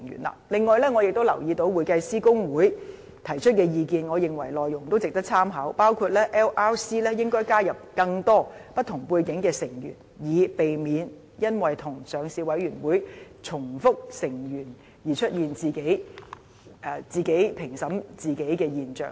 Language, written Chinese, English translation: Cantonese, 此外，我亦留意到香港會計師公會提出的意見，並認為其內容值得參考，包括 LRC 應該加入更多不同背景的成員，以避免因與上市委員會重複成員而出現自己評審自己的現象。, Besides I have also noted the views from the Hong Kong Institute of Certified Public Accountants which I find worthy of attention including that people from diverse backgrounds should be included in the membership of LRC in order that without overlapping membership of the Listing Committee instances of its members being judged themselves can be avoided